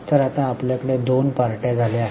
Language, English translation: Marathi, So, we have got two parties now